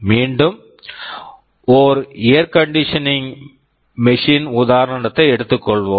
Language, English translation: Tamil, Let me take the example of an air conditioning machine again